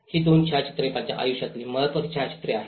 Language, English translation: Marathi, These two photographs are one of the important photographs of my life